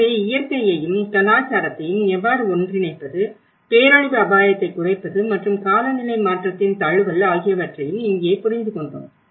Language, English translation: Tamil, So, this is where how to bring nature and culture together and understand in the disaster risk reduction and the climate change adaptation